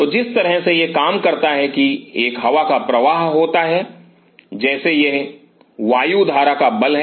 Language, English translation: Hindi, So, the way it works is that there is an air current which comes down like this is force of the air current